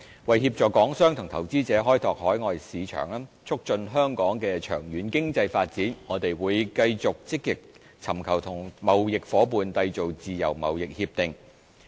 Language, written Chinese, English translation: Cantonese, 為協助港商及投資者開拓海外市場，促進香港的長遠經濟發展，我們會繼續積極尋求與貿易夥伴締結自貿協定。, We will continue to actively seek to conclude FTAs with our trading partners so as to assist Hong Kong business operators and investors to develop their overseas markets and facilitate the long - term economic development of Hong Kong